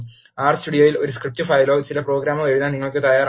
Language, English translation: Malayalam, Now you are ready to write a script file or some program in R Studio